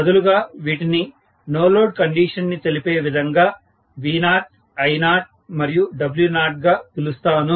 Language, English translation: Telugu, Rather I name these as V0, I0 and W0 to specify that this is no load condition